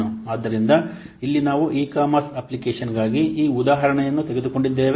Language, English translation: Kannada, So here we have taken this example for an e commerce application